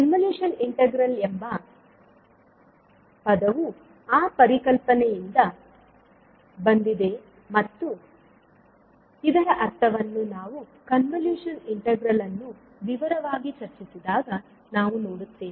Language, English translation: Kannada, So the term convolution integral has come from that particular concept and what does it mean we will see when we will discuss the convolution integral in detail